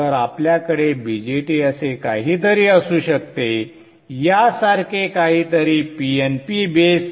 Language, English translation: Marathi, So we could have a BJT something like this, PNP based